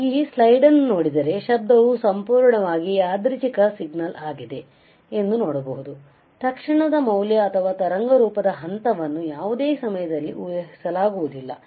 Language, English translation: Kannada, So, if you see the slide, you see that noise is purely random signal, the instantaneous value or a phase of waveform cannot be predicted at any time